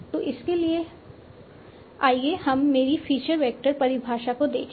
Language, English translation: Hindi, So for that let us look at my feature vector definition